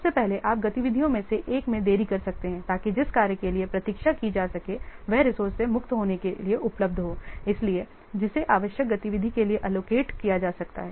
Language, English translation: Hindi, First possible that you may delay one of the activities so that the what that one can wait for the available to be for the resource to be free to be freed so that that can be allocated to the needed activity